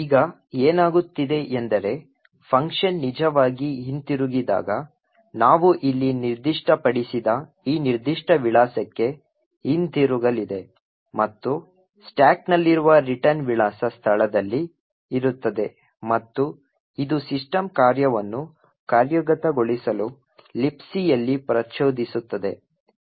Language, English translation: Kannada, So what is going to happen now is that when the function actually returns is going to return to this particular address which we have specified over here and which would be present in the return address location in the stack and this would trigger the system function in libc to execute